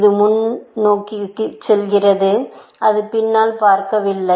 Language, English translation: Tamil, It only looks forward; it does not look behind